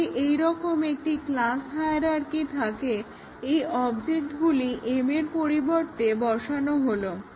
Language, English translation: Bengali, So, if we have a class hierarchy like this and m, these objects can be placed in place of m